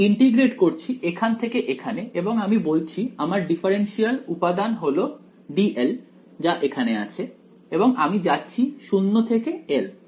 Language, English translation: Bengali, I am integrating from here to here and let us say my differential element is d l over here and I am going from 0 to l ok